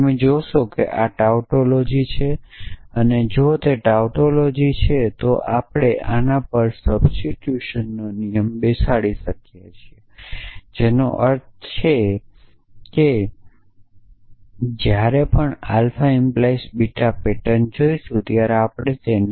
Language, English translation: Gujarati, You will see that this tautology and if it is a tautology we can base a rule of substitution on this, which means that whenever we see a pattern of kind alpha implies beta